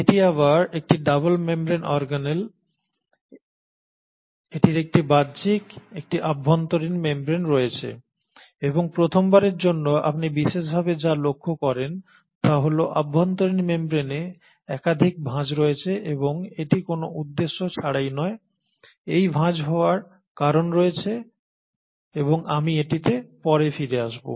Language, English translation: Bengali, It is again a double membraned organelle, it has an outer membrane, an inner membrane and what you notice intriguingly for the first time is that the inner membrane has multiple foldings and it is not without a purpose, there is a reason for this folding and I will come back to it